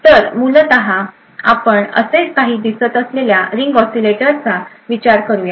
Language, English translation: Marathi, So, essentially, we could consider a Ring Oscillators that looks something like this